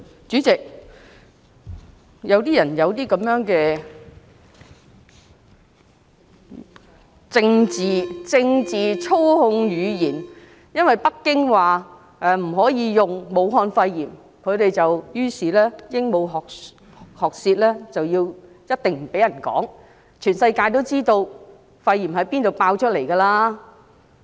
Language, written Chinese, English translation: Cantonese, 主席，有些人喜歡用政治操控語言，因為北京說不可以用"武漢肺炎"這個名稱，他們於是鸚鵡學舌，一定不讓人說，全世界也知道肺炎從哪裏爆發的。, Chairman some people like using politically manipulated language . Since Beijing says that the term Wuhan pneumonia cannot be used they parrot its statement and do not allow people to say so . In fact the whole world knows the origin of the pneumonia outbreak